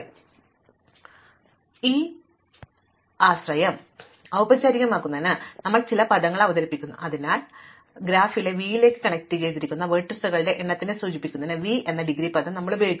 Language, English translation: Malayalam, So, to formalize this notion we introduce some terminology, so recall that for an undirected graph, we use the term degree of v to refer to the number of vertices connected to v